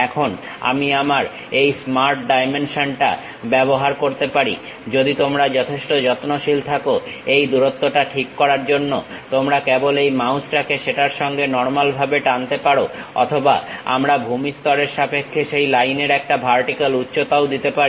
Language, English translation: Bengali, Now, I can use my smart dimension, this one if you are careful enough you can just pull this mouse normal to that adjust the length or we can give the vertical height of that line also with respect to ground level